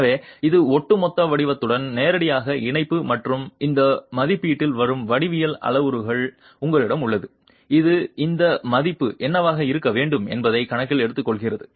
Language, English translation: Tamil, So, it's linked directly to the overall shape and you have a geometrical parameter that comes into this estimate which takes into account what this value should be